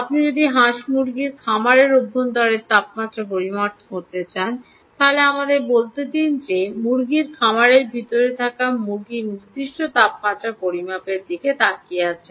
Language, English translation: Bengali, if you are measuring the temperature inside the poultry farm, lets say you are looking at ah um, measuring a particular temperature of chicken, which are all in inside a poultry farm